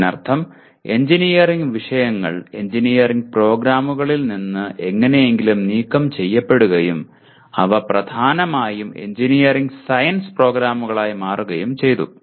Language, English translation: Malayalam, That means engineering subjects are somehow purged out of engineering programs and they have become dominantly engineering science programs